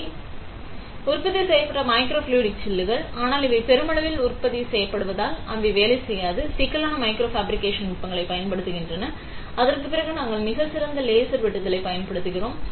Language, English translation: Tamil, These are mass produced microfluidic chips; but because these are mass produced, they do not employee, they complex micro fabrication techniques, instead we use very fine laser cutting